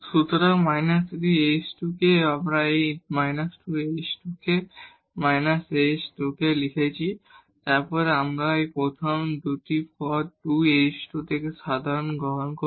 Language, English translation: Bengali, So, minus 3 h square k, we have written this minus 2 h square k and minus h square k and then we take common from the first 2 terms the 2 h square